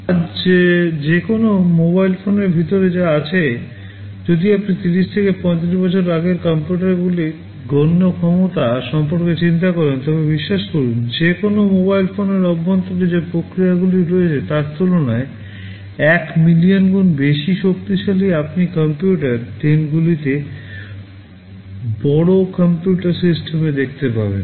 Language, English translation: Bengali, Whatever is inside a mobile phone today, if you think of the computational capability of the computers that existed 30 to 35 years back, believe me the processes that are inside a mobile phone are of the tune of 1 million times more powerful as compared to what you used to see in the large computer systems in those days